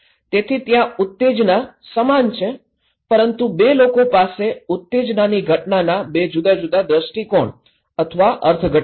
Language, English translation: Gujarati, So, the stimulus is there, the same but two people have two different perspective or interpretations of the event of the stimulus